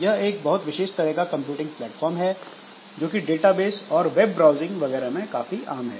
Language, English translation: Hindi, So, this is a special type of computing platform which is common in database, then this web browsing and all